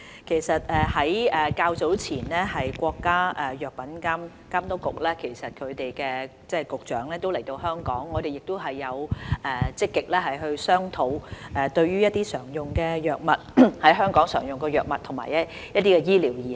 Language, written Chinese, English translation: Cantonese, 其實較早前，國家藥品監督管理局局長來港時，我們曾積極與有關人員商討，如何逐步在大灣區使用香港常用的藥物及醫療儀器。, Actually during the Hong Kong visit of the Director of the National Medical Products Administration earlier I proactively discussed with the related officials on how to progressively allow commonly - used medicines and medical equipment in Hong Kong to be used in the Greater Bay Area